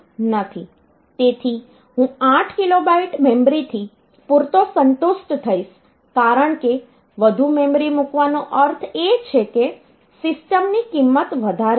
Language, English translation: Gujarati, So, I will be sufficiently it a satisfied with 8 kilo byte of memory because putting more memory means the cost of the system will be high